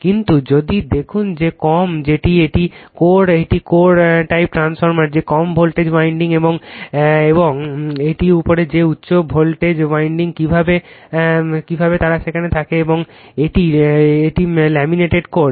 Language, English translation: Bengali, But if you look into that that lower that is this is core this is core type transformer that low voltage winding an above that your high voltage winding how they are there and this is laminated core